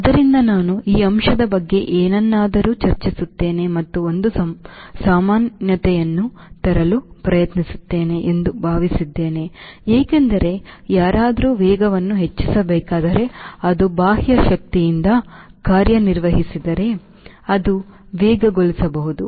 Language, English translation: Kannada, i will discuss something on that aspect and try to bring a commonality because, after all, if somebody, somebody has to accelerate, it can be accelerated if it is acted upon by external force